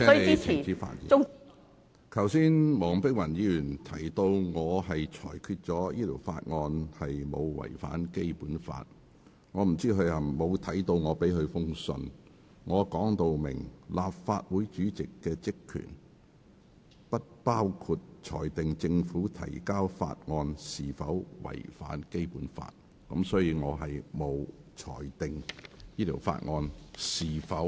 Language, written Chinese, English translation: Cantonese, 我不知道她有否看過我發給議員的信件，我在信中表明，立法會主席的職權不包括裁定政府提交的法案有否違反《基本法》。, I do not know whether Dr WONG has read the letter which I issued to Members . In the letter I clearly say that the functions and powers of the President of the Legislative Council do not include ruling whether a bill introduced by the Government contravenes the Basic Law